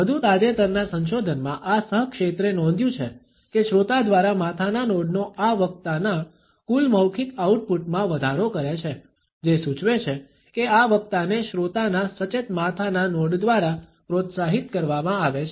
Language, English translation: Gujarati, In a more recent research this co field has noted that head nods by the listener increase the total verbal output of this speaker, that suggest that this speaker is encouraged by the attentive head nods of the listener